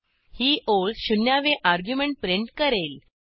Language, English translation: Marathi, This line will print the Zeroth argument